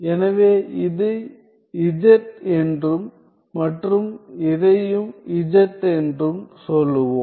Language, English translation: Tamil, So, let me say this is z and this is also z